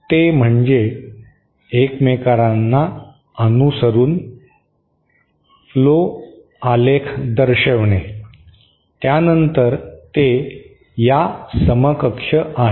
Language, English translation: Marathi, That is to signal flow graph following each other, then that is equivalent to this